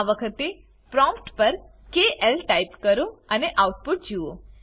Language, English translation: Gujarati, This time at the prompt type KL and see the output